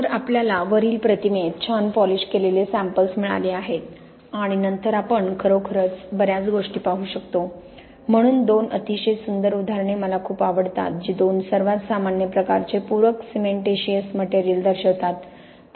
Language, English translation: Marathi, So, we have got our nice polished samples and then we can see really a lot of things, so two very nice examples I like very much which show the two most common type of supplementary cementitious materials